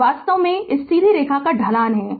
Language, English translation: Hindi, This is actually slope of this straight line